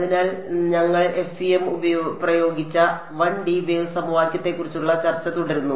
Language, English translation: Malayalam, So continuing our discussion of the 1D Wave Equation, into which we applied the FEM